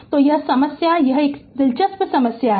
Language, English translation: Hindi, So, this problem this is a this is a good problem for you